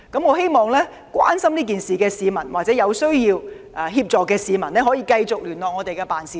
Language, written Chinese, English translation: Cantonese, 我希望關注這事件的市民或有需要協助的市民繼續聯絡我們的辦事處。, I hope people concerned about this matter or those in need will continue to contact our offices